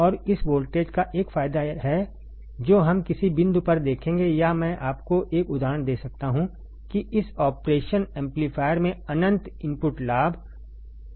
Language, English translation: Hindi, And there is an advantage of this voltage that we will see at some point or I can give you an example that this operation amplifier has a several characteristic like infinite input gain